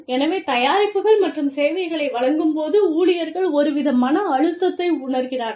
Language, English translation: Tamil, So, while delivering products and services, again the employees feel, a sort of stress